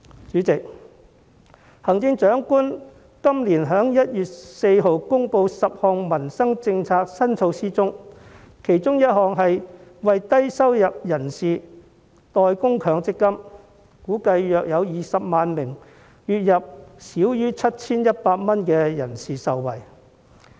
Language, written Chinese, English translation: Cantonese, 主席，行政長官於今年1月14日公布的10項民生政策新措施中，其中一項是為低收入人士代供強積金，估計約有20萬名月入少於 7,100 元的人士會受惠。, President one of the 10 new initiatives to benefit livelihoods announced by the Chief Executive on 14 January this year is paying MPF contributions for low - income persons . It is estimated that about 200 000 people whose monthly income is less than 7,100 will benefit from this